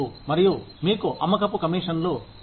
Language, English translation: Telugu, And, you have sales commissions